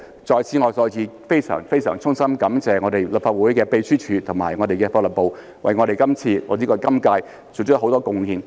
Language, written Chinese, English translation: Cantonese, 在此我再次非常非常衷心感謝立法會秘書處和法律事務部為今次或者今屆作出了很多貢獻。, Here I would like to extend my heartfelt thanks to the Legislative Council Secretariat and the Legal Services Division again for their enormous contribution in this exercise or during this term